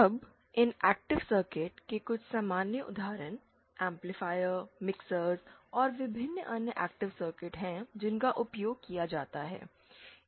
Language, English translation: Hindi, Now active circuits, some common examples of these active circuits are amplifiers, mixers and various other active circuits that are used